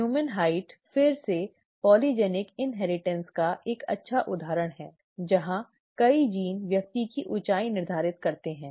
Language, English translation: Hindi, The human height is again a good example of polygenic inheritance where multiple genes determine the height of person